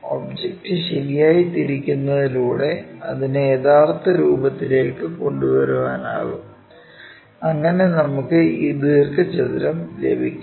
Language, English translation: Malayalam, Actually, that object by rotating properly bringing it back to original thing we will see this rectangle, ok